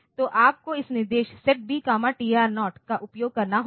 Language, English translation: Hindi, So, you have to use this instruction set B, TR0